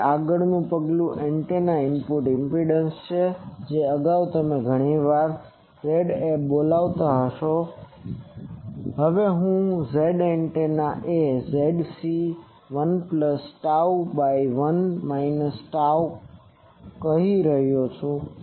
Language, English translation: Gujarati, So next step is j the input impedance of antenna which previously many times you are calling Za, now I am calling Z antenna is Zc 1 plus tau by 1 minus tau